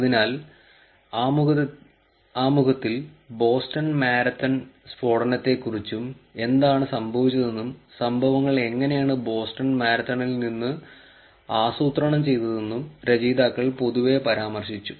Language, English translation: Malayalam, So, in the introduction, the authors actually mentioned generally about the Boston Marathon blast, what happened and how the incidence is planned out of the Boston marathon